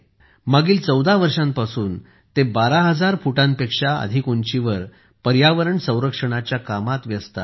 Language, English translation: Marathi, For the last 14 years, he is engaged in the work of environmental protection at an altitude of more than 12,000 feet